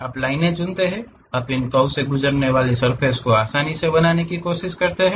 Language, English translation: Hindi, You pick lines, you try to smoothly construct a surface passing through this curves